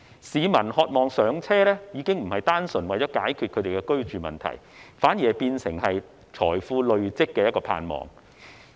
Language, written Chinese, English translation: Cantonese, 市民渴望"上車"已經並非單純為了解決其居住問題，反而變為累積財富的盼望。, Peoples pursuit for properties is no longer just a solution to their housing problem but a hope for wealth accumulation